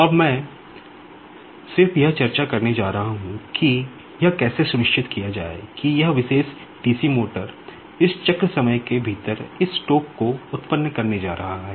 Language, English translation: Hindi, Now, I am just going to discuss how to ensure that this particular DC motor is going to generate this torque within this cycle time